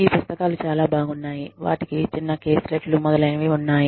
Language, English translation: Telugu, These books are very good, they have little caselets, etcetera